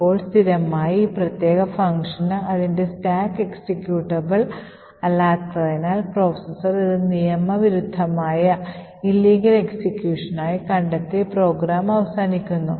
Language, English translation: Malayalam, Now since this particular function by default would have its stack as non executable therefore the processor detects this as an illegal execution being made and falls the program and therefore the program terminates